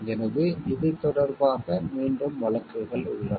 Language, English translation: Tamil, So, there are repeat cases about it